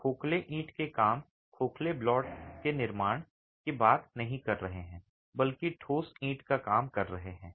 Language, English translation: Hindi, We are not talking of hollow brickwork, hollow block construction but solid brickwork